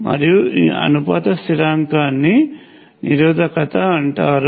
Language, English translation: Telugu, And the proportionality constant is called the Resistance